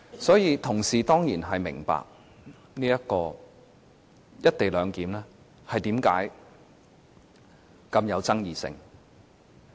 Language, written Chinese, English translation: Cantonese, 所以，同事當然會明白為何"一地兩檢"如此富爭議性。, So Members will certainly understand why the co - location arrangement is so controversial